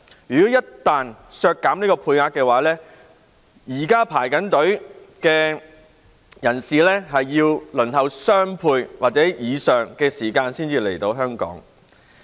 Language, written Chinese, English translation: Cantonese, 一旦削減配額，現時的申請人要輪候雙倍或以上時間才可以來港。, Once the quota is reduced the current applicants will have to wait twice as long or even longer before being able to come to Hong Kong